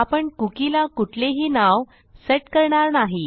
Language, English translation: Marathi, Now we will set the cookie name to nothing